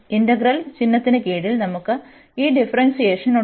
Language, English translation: Malayalam, And then we have this differentiation under integral sign